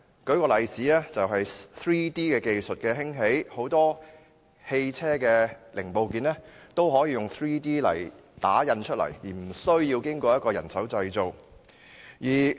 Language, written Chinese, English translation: Cantonese, 例如，隨着 3D 技術的興起，很多汽車的零部件都可以用 3D 技術打印，而無需經人手製造。, For example with the upsurge of 3D technology many vehicle parts and components can be printed using 3D technology and manual manufacturing is no longer necessary